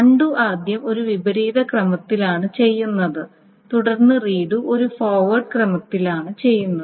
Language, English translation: Malayalam, So undoes are first done in a reverse order and then the redos are being done in a forward order